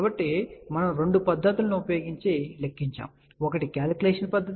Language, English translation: Telugu, So, we had done the calculation using two method; one was the calculation method